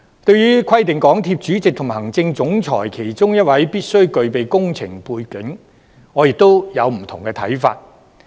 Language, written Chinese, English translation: Cantonese, 對於規定港鐵公司主席及行政總裁其中一位必須具備工程背景，我亦有不同的看法。, Concerning the requirement that either the Chairman or the Chief Executive Officer of MTRCL should have an engineering background I also hold a different view